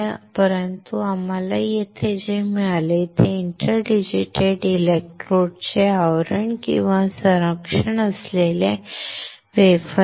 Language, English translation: Marathi, But what we got here is a wafer with covering or protecting the interdigitated electrodes